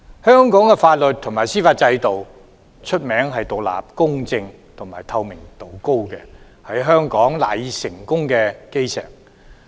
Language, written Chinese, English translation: Cantonese, 香港的法律及司法制度一向以獨立、公正和透明度高見稱，是香港賴以成功的基石。, Hong Kong is renowned for its independent fair and highly transparent legal and judicial systems which also constitute the cornerstone of Hong Kongs success